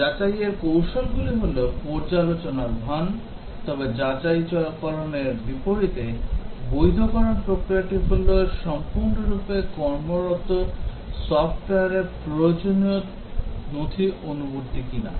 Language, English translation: Bengali, Verification techniques are review simulation etcetera, but in contrast to verification, validation is the process of determining whether the fully working software conforms to the requirement document